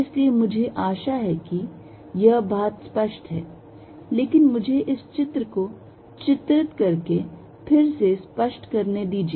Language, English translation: Hindi, So, I hope this point is clear, but let me make it clear by drawing this picture again